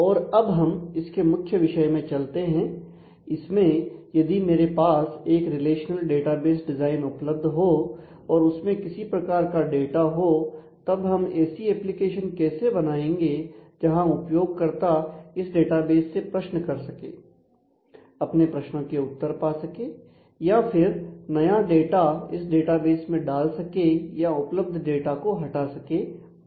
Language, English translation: Hindi, And now we get into the core issue of if I have a relational database design existing and that is populated with the data then based on that how do we develop, how do we create an application where the user can interact and actually get answers to the questions that the user has or the user can actually update the data create new data, remove old data and so, on